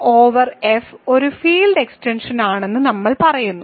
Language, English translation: Malayalam, So, we say that K over F is a field extension right